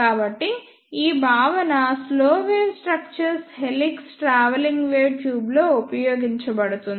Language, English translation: Telugu, So, this concept is used in slow wave structure helix travelling wave tube